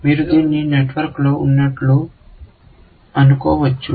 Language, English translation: Telugu, You might think of it as on the network